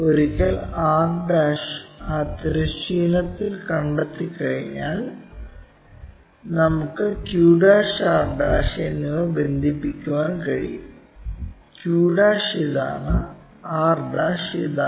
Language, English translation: Malayalam, Once r' is located on that horizontal; we can connect q' and r', q' is this r' is that join that line